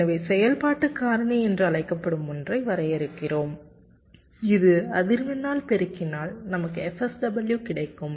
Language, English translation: Tamil, so we define something called an activity factor which if we multiplied by the frequency we get f sw